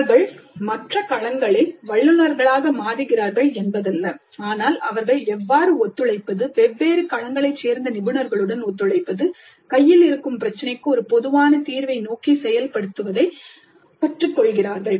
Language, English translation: Tamil, It's not that they become experts in the other domains, but they learn how to cooperate, collaborate with experts from different domains working towards a common solution to the problem at hand